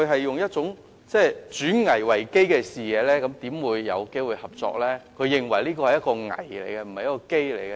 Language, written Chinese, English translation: Cantonese, 如果他以"轉危為機"的視野，又怎麼會看到大灣區會帶來合作機會呢？, If his mindset is to turn risks into opportunities how can he possibly see that the Bay Area will bring forth opportunities for cooperation?